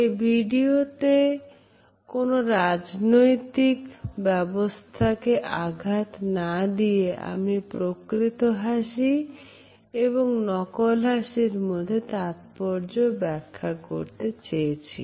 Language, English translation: Bengali, Without commenting on the political belief systems, I have tried to use this video as an illustration of genuine and fake smiles